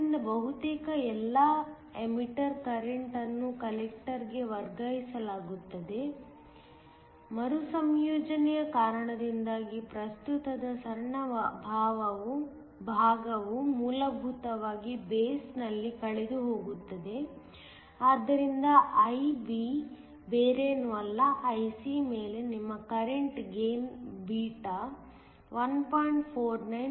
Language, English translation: Kannada, So, almost all the emitter current is nearly transferred to the collector; small portion of the current is essentially lost in the base due to recombination, so that IB is nothing but IC over your current gain beta which is 1